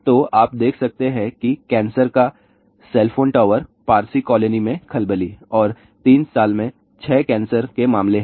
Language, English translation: Hindi, So, you can see that cancer is cell phone towers panic and 6 cancer cases in 3 years